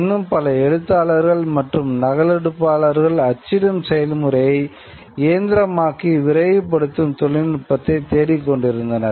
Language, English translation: Tamil, There were many other actors, many other copyists who were looking for a technology to hasten to mechanize the process of print